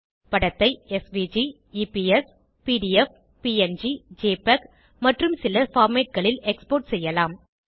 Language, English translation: Tamil, You can export the image as SVG, EPS, PDF, PNG, JPEG and a few others